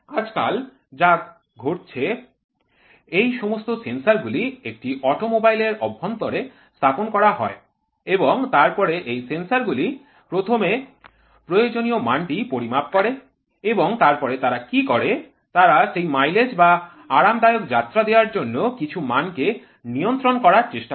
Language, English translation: Bengali, Today what has happened, all these sensors are placed inside an automobile and then these sensors first measure the required quantity and then what they do is they try to control certain quantity to get the best mileage or a comfortable ride